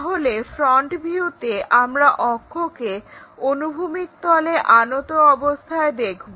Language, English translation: Bengali, So, in that front view we will see this axis is inclined to horizontal plane